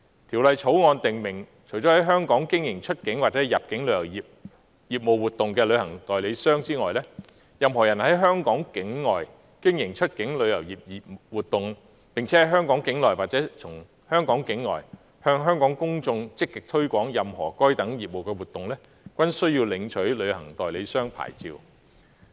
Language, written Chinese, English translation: Cantonese, 《條例草案》訂明，除了在香港經營出境或入境旅遊業活動的旅行代理商外，任何人在香港境外經營出境旅遊業務活動，並在香港境內或從香港境外向香港公眾積極推廣任何該等業務活動，均須領取旅行代理商牌照。, The Bill provides that apart from those travel agents that carry on any outbound or inbound travel business activities in Hong Kong persons who carry on any outbound travel business activities at a place outside Hong Kong and actively market whether in Hong Kong or from a place outside Hong Kong to the public of Hong Kong any of such business activities will be required to obtain travel agent licences